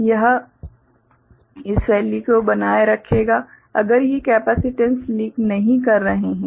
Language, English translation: Hindi, So, it will maintain this value, if these capacitances are not leaking